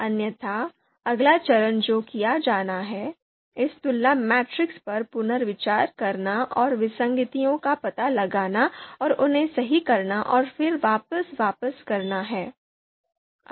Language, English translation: Hindi, Otherwise, the next step that is to be done is to reconsider this comparison matrix and find out inconsistencies and correct them and then again get back